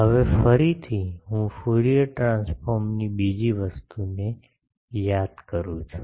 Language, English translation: Gujarati, Now, again I recall another thing of Fourier transform